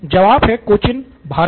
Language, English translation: Hindi, The answer is Cochin, India